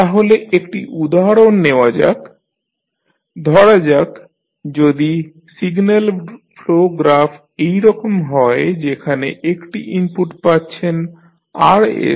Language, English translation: Bengali, So, let us take one example say if the signal flow graph is like this where you have from here you have a input say Rs